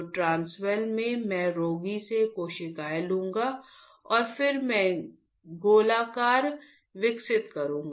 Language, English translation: Hindi, So, in the transwell I will I will take the cells from the patient, I will take the cells from the patient and then I will grow the spheroid